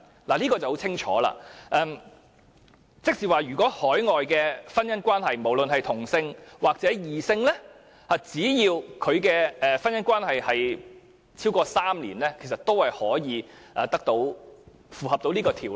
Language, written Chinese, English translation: Cantonese, 這可說相當清楚，換言之，若屬海外婚姻關係，不論是同性還是異性婚姻，只要關係持續超過3年，便可符合《條例》的規定。, Now all is indeed very clear . This means that any marriage contracted outside Hong Kong be it same - sex or different - sex can satisfy the requirements of Cap . 465 as long as the marriage has subsisted for not less than three year